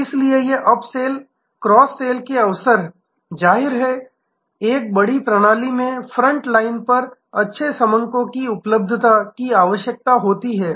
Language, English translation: Hindi, So, these up sell ,cross sell opportunities; obviously, in a large system needs availability of good data at the front line